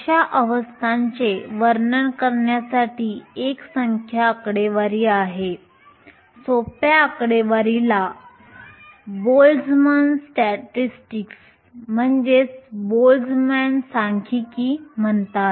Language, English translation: Marathi, There are a number statistics for describing such a system the simplest statistics is called the Boltzmann statistic